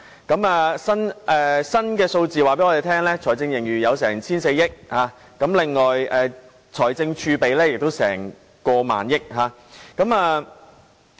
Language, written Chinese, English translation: Cantonese, 根據最新數字，我們的財政盈餘達 1,400 億元，而財政儲備亦有過萬億元。, According to the latest figures our fiscal surplus is as much as 140 billion and our fiscal reserve is more than 1,000 billion